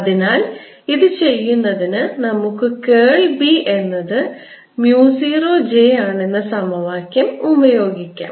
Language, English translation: Malayalam, so to do this, let us start with the equation: curl of b is equal to mu naught j